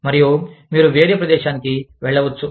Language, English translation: Telugu, And, you move, to a different location